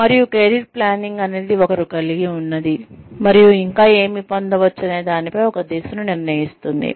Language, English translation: Telugu, And, career planning is, deciding on a direction in light of, what one has, and what one can get